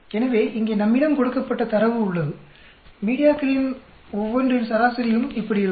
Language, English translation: Tamil, So, we have the data here given, average of each one of these media will be like this